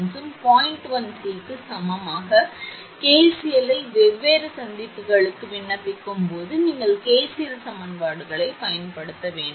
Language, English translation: Tamil, 1 C applying KCL to different junction we have you apply you have to apply KCL equations